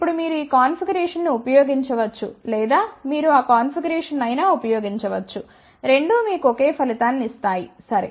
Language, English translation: Telugu, Now you can use either this configuration or you can use this configuration both of them will give you exactly the same result, ok